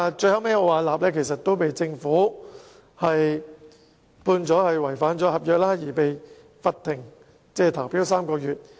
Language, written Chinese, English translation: Cantonese, 最後，奧雅納被政府判違反合約，被罰不能參與競投3個月。, In the end Arup was convicted by the Government of violating the agreement and punished by being barred from bidding for government projects for three months